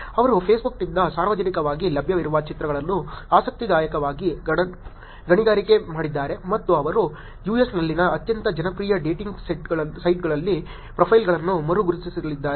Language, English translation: Kannada, They interestingly mined publicly available images from Facebook and they going to re identify profiles just on one of the most popular dating sites in the US